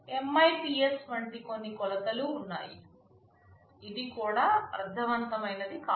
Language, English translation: Telugu, There are some measures like MIPS; this also does not mean anything